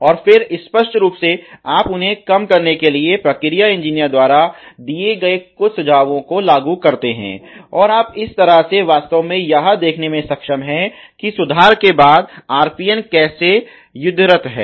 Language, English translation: Hindi, And then obviously, you implement some of the suggestions a given by the process engineers to reduce them, and that way you are able to actually see how the RPN is warring after the improvement